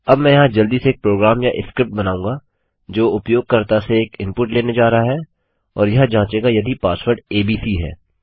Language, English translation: Hindi, Now Ill make a program here quickly or a script thats going to take an input from the user and it will check to see if the password is abc